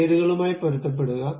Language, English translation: Malayalam, Just be consistent with the names also